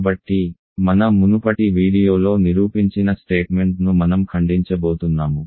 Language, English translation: Telugu, So, I am going to reprove the statement that we proved in a previous video